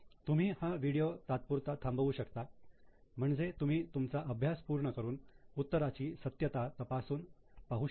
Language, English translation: Marathi, You can pause the video for the time being so that you can complete and verify the solution